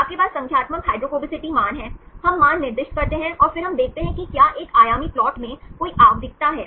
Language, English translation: Hindi, You have the numerical hydrophobicity values, we assign the values and then we see if there are there any periodicity in one dimensional plot